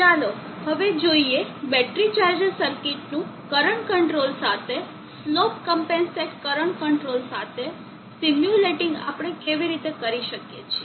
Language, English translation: Gujarati, Let us now see how we go about simulating the battery charger circuit with current control, with slope compensated current control